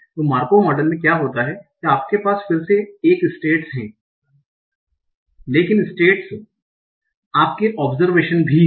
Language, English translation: Hindi, So in Markov model what happens, you again have states but the states are also your observations